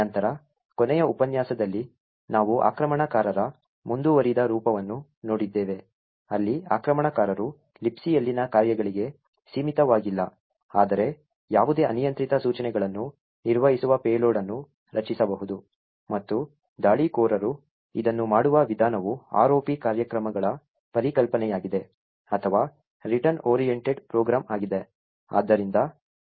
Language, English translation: Kannada, Then the last lecture we had looked at a more advanced form of attack where the attacker is not restricted to functions in the Libc but could create a payload which executes almost any arbitrary instructions and the way the attacker does this is by a concept of ROP programs or Return Oriented Program